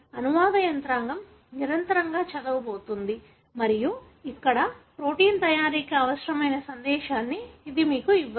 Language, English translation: Telugu, The translation machinery is going to read continuous and here, it is not going to give you the message that is required for making the protein